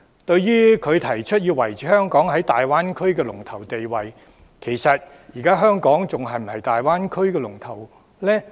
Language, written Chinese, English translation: Cantonese, 對於胡議員提出要維持香港在大灣區的龍頭地位，其實香港現時是否仍是大灣區的龍頭？, With regard to Mr WUs suggestion to maintain Hong Kongs leading position in the Greater Bay Area is Hong Kong actually still the leader of the Greater Bay Area?